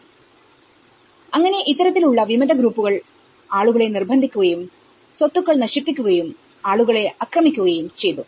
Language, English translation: Malayalam, So, after this kind of Rebel groups forcing them and destroying the properties and attacking the people